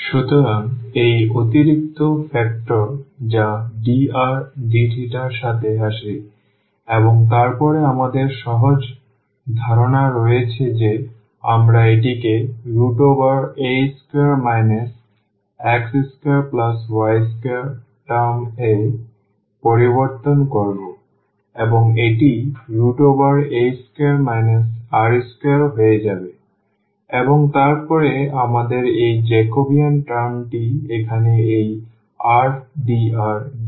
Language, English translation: Bengali, So, this additional factor which comes with dr d theta and then we have the simple idea that we will change it to the square root here a square and minus this x square plus y square term will become r square and then we have this Jacobian term here with this r and dr d theta